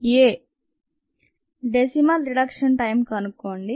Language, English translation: Telugu, determine the decimal reduction time